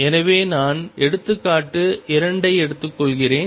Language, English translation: Tamil, So, let me take example 2